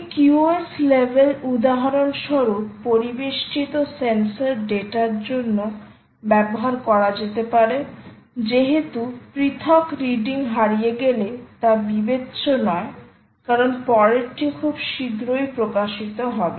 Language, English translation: Bengali, this level could be used, for example, with ambient sensor data, where it does not matter if an individual ah reading is lost, as the next one will be published in soon after